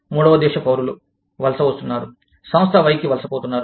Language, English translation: Telugu, Third country nationals, are immigrating, are migrating to, the Firm Y